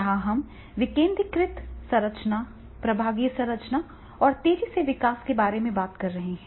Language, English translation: Hindi, Here we are talking about the decentralized structure and the divisionalized structures, rapid growth, right